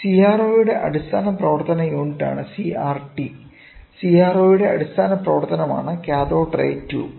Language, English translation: Malayalam, The CRT is the basic function unit of CRO; Cathode Ray Tube is the basic function of CRO